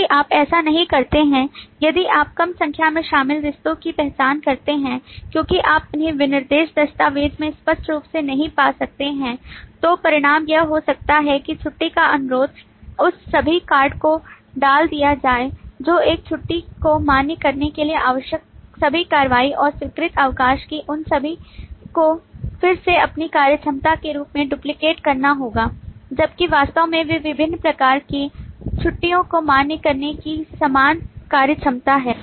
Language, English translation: Hindi, That is, if you do not, if you identify less number of include relationships because you may not find them explicitly in the specification document, the consequence could be that request leave has to put all the cord, all that action required for validating a leave, and the approved leave will have to duplicate all of those again as its own functionality, whereas they are the same functionality of validating the leaves of different types